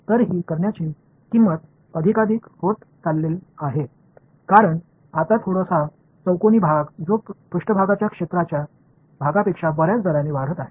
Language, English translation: Marathi, So, this the cost of doing this is going to become more and more, because now a little cubes that make up that volume are increasing at a much higher rate than the surface area right